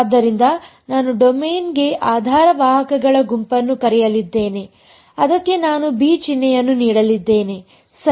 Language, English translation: Kannada, So, I am going to call the set of basis vectors for the domain I am going to give the symbol b ok